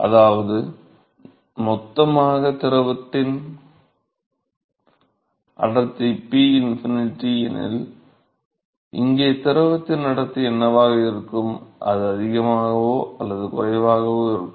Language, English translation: Tamil, So, supposing if the density of the fluid in bulk is rho infinity, then, what will be the density of the fluid here it will be greater or lesser